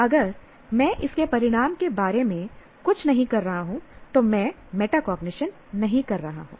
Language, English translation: Hindi, If I'm not doing anything a consequence of that, then I am not performing metacognition